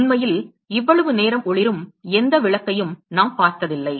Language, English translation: Tamil, We have never seen any blub which can actually go glow for that long